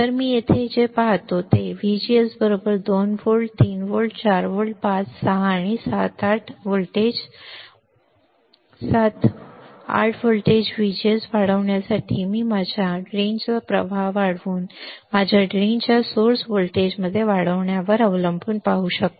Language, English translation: Marathi, So, what I see here right VGS equals to 2 volts, 3 volts, 4 volts, 5 volts, 6 volts, 7 volt, 8 volt for increasing VGS I can see increasing my in my drain current depending on increasing of my drain to source voltage this is the graph this is the graph right